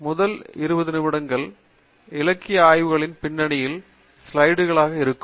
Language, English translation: Tamil, The first twenty minutes is going to be slides on the background of literature survey